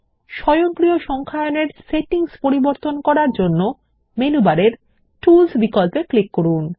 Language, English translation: Bengali, To change the settings for automatic numbering, click on the Tools option in the menu bar And then click on Footnotes/Endnotes